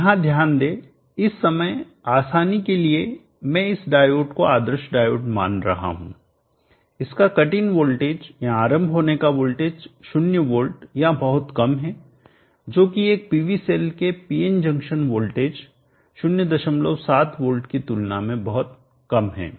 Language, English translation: Hindi, Note here for the sake of simplicity right now I am considering this diode to be ideal, it is cut in voltage are not voltage is 0 volts or very, very less compared to the PN junction voltages of 0